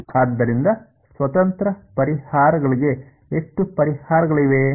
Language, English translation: Kannada, So, how many solutions are possible independent solutions